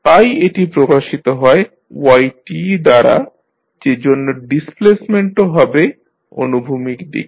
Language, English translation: Bengali, So, it is represented with y t, so displacement will be in the horizontal direction